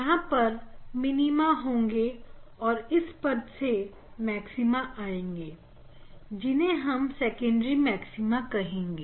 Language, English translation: Hindi, there will be minima and then also there are maxima s this called secondary maxima this is the term